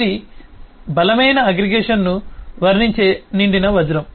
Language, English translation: Telugu, here It is a filled up diamond depicting strong aggregation